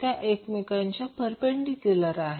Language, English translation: Marathi, So, those will be perpendicular to each other